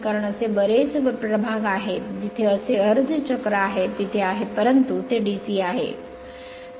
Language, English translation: Marathi, Because so many segments are there so many such half cycles are there, so there, but it is DC, but it is DC right